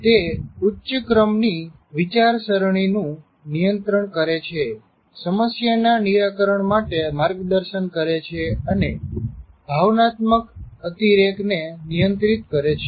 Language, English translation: Gujarati, It monitors higher order thinking, directs problem solving and regulates the excess of emotional system